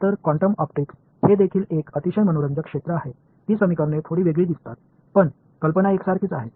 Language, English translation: Marathi, So, quantum optics is a very interesting field as well; those equations look a little bit different, but the idea is the same